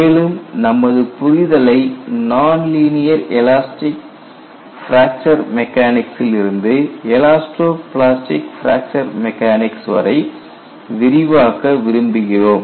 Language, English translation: Tamil, But we want to extend our knowledge, from non linear elastic fracture mechanics to elasto plastic fracture mechanics